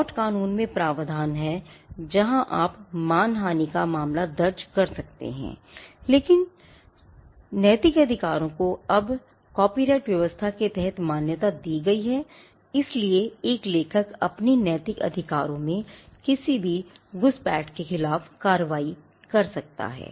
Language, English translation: Hindi, There are provisions in tort law where you could file a case for defamation, but since the moral rights are now recognized under the copyright regime this is now the most, but since moral rights have now been recognized under the copyright regime an author can take action against any intrusion of his moral rights